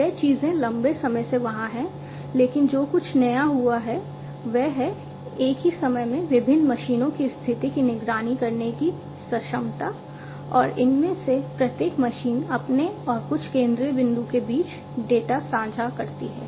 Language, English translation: Hindi, So, those things have been there since long, but what has been what has come up to be new is to be able to monitor the condition of different machines at the same time and having each of these machines share the data between themselves and to some central point is something that is newer